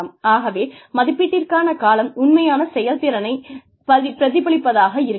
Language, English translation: Tamil, So, the timing of the appraisal, may not really be a true reflection, of the actual performance